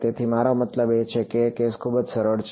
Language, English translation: Gujarati, So, the I mean the case is very simple